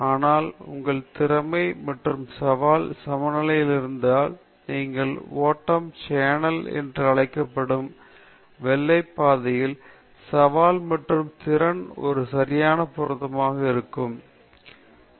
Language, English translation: Tamil, problem also, then you will be highly anxious, but if your skill and challenge are in balance, you are in that white path which is called the flow channel, and there is an exact matching of challenge and skill, the best thing you will come out, and you will enjoy what you are doing; this is the basically the Flow Theory okay